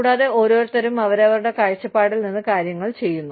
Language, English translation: Malayalam, And, everybody does things right, from their own perspective